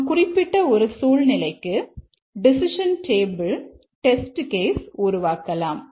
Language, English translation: Tamil, Let's develop the test case, decision table test case for a specific situation